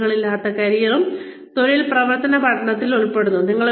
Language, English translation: Malayalam, Boundaryless careers, also involve, on the job action learning